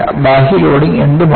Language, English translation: Malayalam, The external loading may be anything